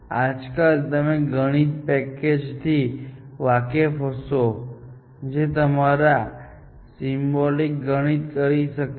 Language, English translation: Gujarati, Nowadays, of course, you must be familiar that we have these mathematical packages, which can do symbolic mathematics for you